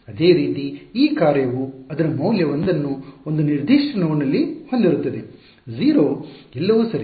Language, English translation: Kannada, Similarly this function has its value 1 at a certain node, 0 everyone else ok